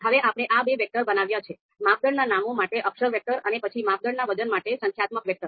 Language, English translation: Gujarati, So now we have created these two vectors, character vector for criteria names and then the numeric vector for the criteria weights